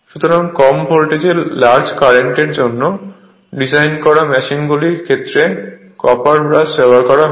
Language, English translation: Bengali, So, the use of copper brush is made up for machines designed for large currents at low voltages right